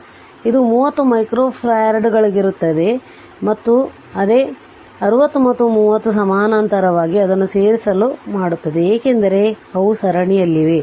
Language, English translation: Kannada, So, this will be 30 micro farads and again we will see 60 and 30 if you have make it add it up because they are in parallel